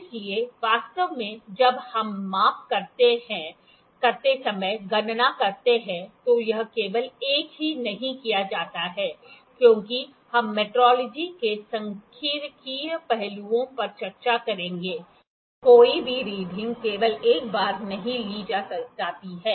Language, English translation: Hindi, So, actually when we do the calculations when we do the measurements, it is not done only one, as we will discuss statistical aspects of metrology no reading is taken only once